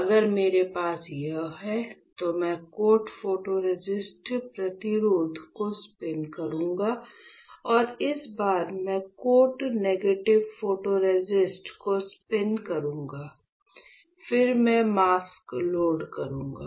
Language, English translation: Hindi, So, if I have this one, then what I will do is; I will spin coat photoresist resist and this time I will spin coat negative photoresist, then I will load the mask